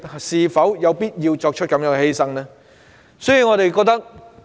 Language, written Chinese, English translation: Cantonese, 是否有必要作出這樣的犧牲？, Is it necessary to make such a sacrifice?